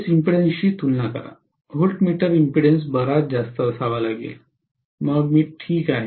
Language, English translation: Marathi, Compare to the base impedance, the voltmeter impedance has to be quite higher, then I am fine